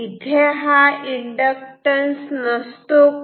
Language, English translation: Marathi, Is there no inductance